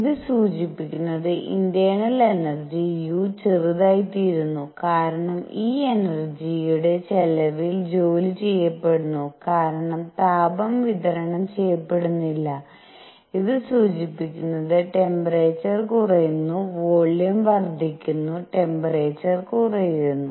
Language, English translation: Malayalam, This implies internal energy u becomes a smaller because the work is done at the cost of this energy because there is no heat being supplied and this implies the temperature goes down volume is increasing, temperature is going down